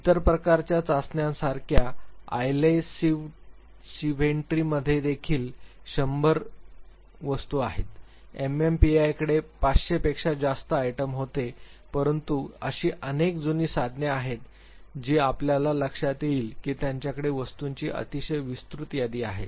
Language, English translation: Marathi, Unlike other types of tests like even Eyesenck inventory had 100 items, MMPI had 500 plus items, there are many old tools that you would realize at they have very exhaustive list of items